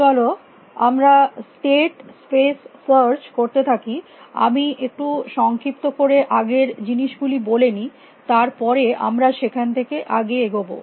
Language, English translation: Bengali, Let us continue with state space search, let me just do a very quick recap, and then we will continue from there